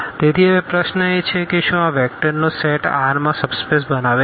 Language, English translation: Gujarati, So, now, the question is whether this set the set of these vectors form a subspace in R 4